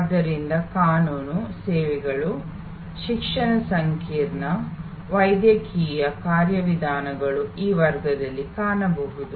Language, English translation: Kannada, So, legal services, education complex, medical, procedures or in this category